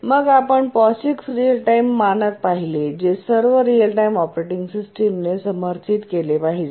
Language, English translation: Marathi, And then we looked at a standard, the POIX real time standard, which all real time operating systems must support